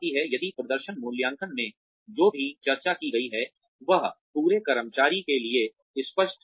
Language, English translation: Hindi, If, whatever is discussed in performance appraisals, has been obvious, to the employee throughout